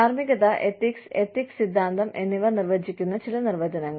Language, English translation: Malayalam, Some definitions, defining morality, ethics, and ethical theory